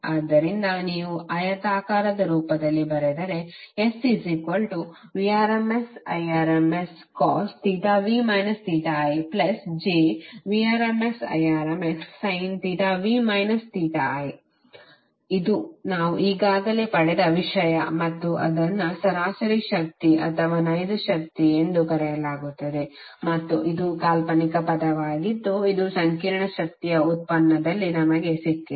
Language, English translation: Kannada, So if you write into rectangular form the complex power is nothing but Vrms Irms cos theta v minus theta i plus j Vrms Irms sin theta v minus theta i this is something which we have already derived and that is called average power or real power and this is imaginary term which we have got in derivation of the complex power